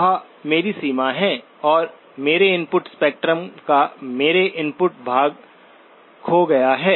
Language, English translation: Hindi, That is my limit, and my input portion of my input spectrum has been lost